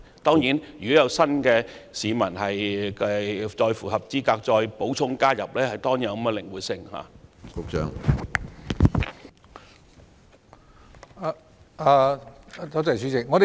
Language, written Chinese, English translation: Cantonese, 當然，如果下次有其他市民符合資格可以加入新的計劃，系統亦應靈活處理。, Of course the system should also have the flexibility to include anyone who is eligible to apply under the new scheme